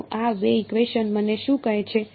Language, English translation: Gujarati, So, what do these two equations tell me